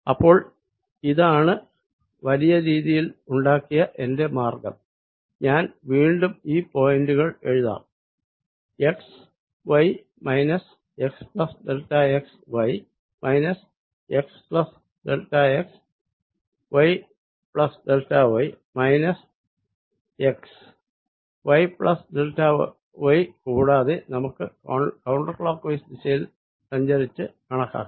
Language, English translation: Malayalam, so here is my path, made in a bigger way, and let me write the points again: x, y, x plus delta, x, y, x plus delta, x, y plus delta, y, x, y plus delta y, and let us calculate, traversing in a counter clockwise way, the sum e i delta l, i